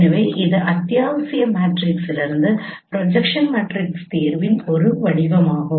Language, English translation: Tamil, So this is one form of solution of no projection matrices from essential matrix